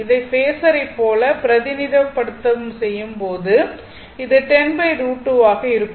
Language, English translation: Tamil, So, when you do represent when you are representing like phasor right, it will be 10 by root 2